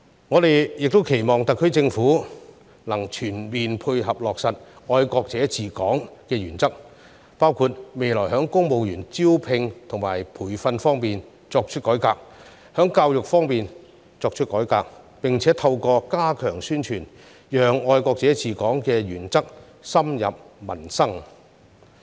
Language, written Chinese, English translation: Cantonese, 我們也期望特區政府能全面配合落實"愛國者治港"的原則，包括未來在公務員招聘和培訓方面作出改革，在教育方面作出改革，並且透過加強宣傳，讓"愛國者治港"的原則深入民心。, We also expect the SAR Government to provide full support for the implementation of the patriots administering Hong Kong principle by among others introducing reforms to the recruitment and training of civil servants and to education and also stepping up publicity so that the principle of patriots administering Hong Kong can take root in the hearts of the people